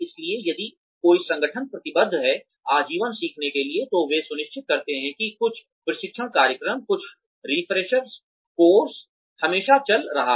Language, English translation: Hindi, So, if an organization is committed, to lifelong learning, then they ensure that, some training program, some refresher course, is always going on